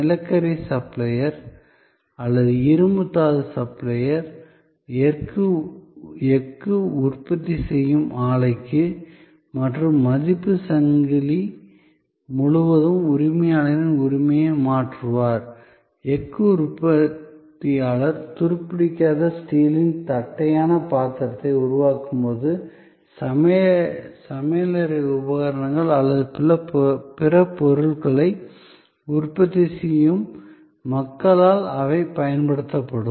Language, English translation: Tamil, The supplier of coal or supplier of iron ore would be transferring the ownership of those to the plant producing steel and across the value chain, when the steel producer produces flat role of stainless steel, they will be then used by people manufacturing, kitchen equipment or other stuff